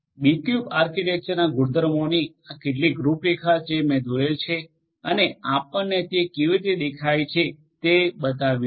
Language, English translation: Gujarati, These are some of these highlights of these properties of the B cube architecture that I had drawn and showed you how they look like